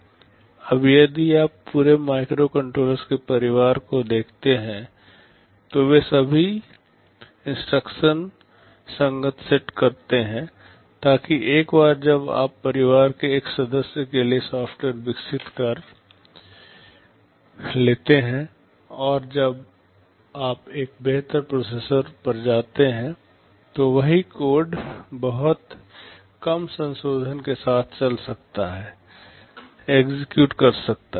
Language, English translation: Hindi, Now, if you look at the microcontrollers across the family they are all instruction set compatible so that once you develop software for one member of the family, and you move to a better processor, the same code can run or execute with very little modification